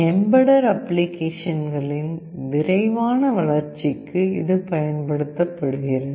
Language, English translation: Tamil, It is used for fast development of embedded applications